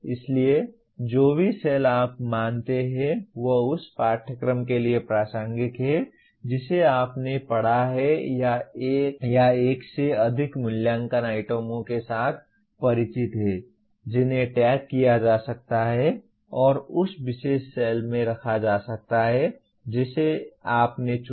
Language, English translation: Hindi, So whatever cells that you consider are relevant to the course that you have taught or familiar with write one or more assessment items that can be tagged and put in that particular cell that you have chosen